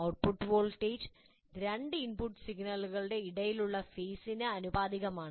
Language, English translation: Malayalam, Phase detector, that means the output voltage is proportional to the phase of the phase between the two input signals